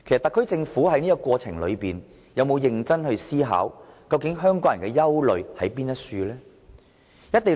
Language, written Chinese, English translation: Cantonese, 特區政府在這個過程中有否認真思考香港人的憂慮為何呢？, Has the SAR Government given any serious thoughts to Hong Kong peoples concerns in this process?